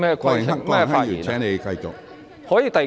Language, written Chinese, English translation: Cantonese, 郭榮鏗議員，請繼續發言。, Mr Dennis KWOK please continue